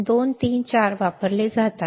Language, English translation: Marathi, 2 3 4 are used